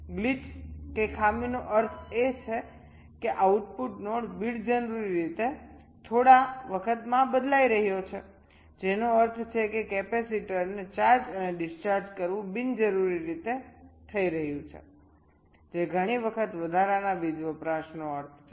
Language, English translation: Gujarati, glitch means the output node is changing unnecessarily a few times, which means charging and discharging of the capacitor is taking place unnecessarily that many times, which means, ah, extra power consumption